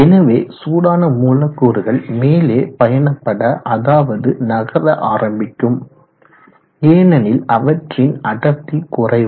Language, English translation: Tamil, So the hotter molecules those will start travelling up, moving up, because they are less dense